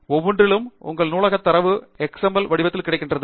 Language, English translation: Tamil, However, it requires that your bibliographic data is available in an XML format